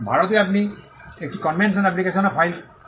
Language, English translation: Bengali, In India, you can also file, a convention application